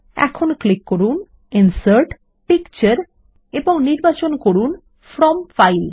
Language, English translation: Bengali, Now, lets click on Insert and Picture and select From File